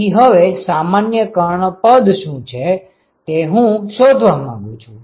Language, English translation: Gujarati, So, if I now want to find out what is the general diagonal term